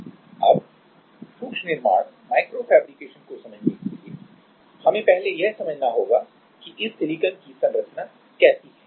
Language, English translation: Hindi, Now, to understand the micro fabrication; we have to first understand that how this silicon structure is